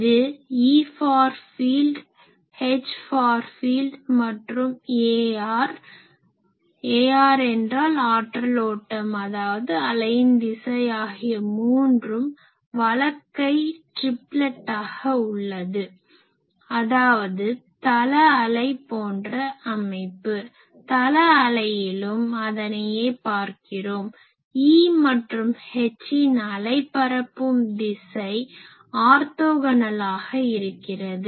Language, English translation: Tamil, This shows that E far field, H far field and a r, a r means the direction of power flow direction of wave, they are at right handed triplet now; that means, something like plane wave, in plane wave also we have seen the same thing the wave propagation direction E field and H field they are orthogonal